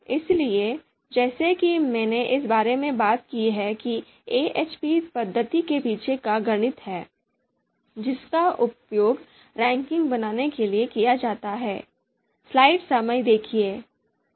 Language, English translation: Hindi, So as I have talked about this contains the mathematics behind the AHP method and which is finally used to produce rankings